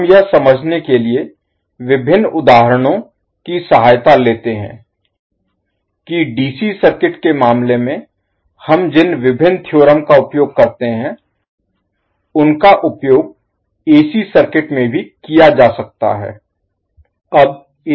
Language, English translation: Hindi, So what we will do, we will take the help of various examples to understand how the various theorems which we use in case of DC circuit can be utilized in AC circuit as well